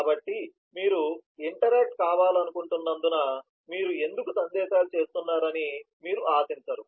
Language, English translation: Telugu, so because you would expect that why you are doing messages because you want to interact